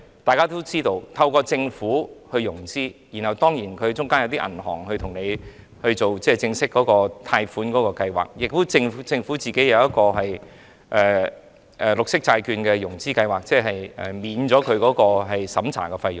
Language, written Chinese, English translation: Cantonese, 大家也知道，在政府融資中，銀行會參與正式的貸款計劃，而政府也會在綠色債券融資計劃中免去相關審查費用。, Members all know that in the financing arrangement of the Government banks will participate in the official loan schemes under which the Government will waive the relevant examination charges under the green bonds financing scheme